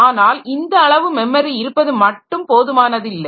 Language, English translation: Tamil, But having that much of memory is not sufficient